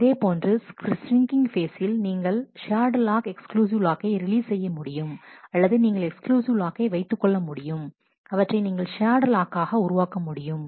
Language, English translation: Tamil, Similarly, in the shrinking phase you can release a shared lock release an exclusive lock, or you are holding an exclusive lock you can make it a shared lock